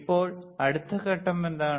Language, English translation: Malayalam, Now what is next step